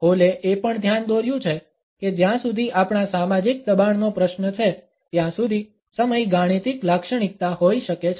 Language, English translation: Gujarati, Hall has also pointed out that time can be an arithmetic characteristic as far as our social pressures are concerned